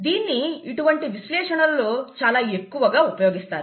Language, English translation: Telugu, This is heavily used in this kind of analysis